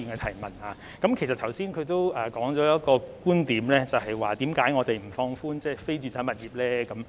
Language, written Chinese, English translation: Cantonese, 他剛才提到一個觀點，便是為何我們不放寬非住宅物業的"辣招"呢？, Just now he mentioned a point . He asks why the harsh measures on non - residential properties are not relaxed